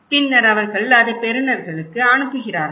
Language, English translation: Tamil, Okay, they pass it to receivers these informations